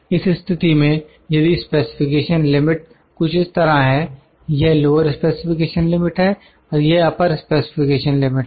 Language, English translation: Hindi, In this case, if specification limit is something like this, it is lower specification limit this is upper specification limit